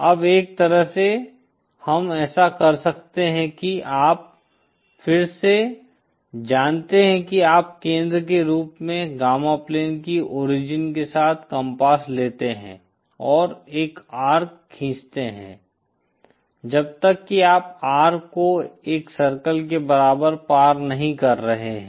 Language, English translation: Hindi, Now one way we can do that is again you know you take a compass with the origin of the gamma plane as the center and draw an arc till you are crossing the R equal to 1 circle